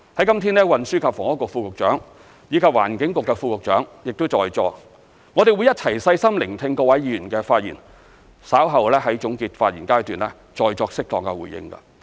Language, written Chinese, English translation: Cantonese, 今日運輸及房屋局副局長和環境局副局長亦在座，我們會一起細心聆聽各位議員的發言，稍後在總結發言階段再作適當回應。, Today the Under Secretary for Transport and Housing and the Under Secretary for the Environment are also present . We will listen carefully to Members speeches and make appropriate responses later in the closing remarks